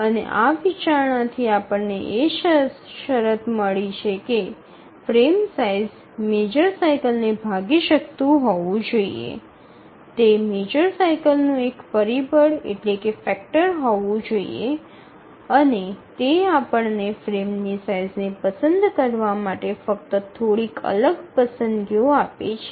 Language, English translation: Gujarati, And from this consideration we get the condition that the frame size should divide the major cycle, it should be a factor of the major cycle, and that gives us only few discrete choices to select the frame size